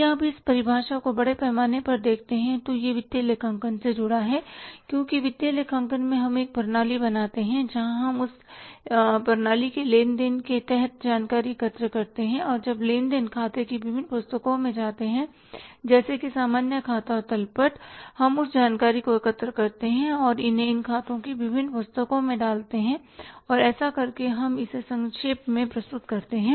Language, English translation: Hindi, If you look at this definition largely it is linked to the financial accounting because in the financial accounting we create a system where we collect the information under that system transaction and when the transaction goes to the different books of accounts, general leisure and trial balance, we collect that information and put it to the different books of accounts and by doing that we summarize it